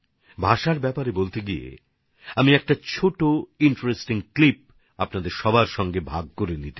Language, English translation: Bengali, Speaking of language, I want to share a small, interesting clip with you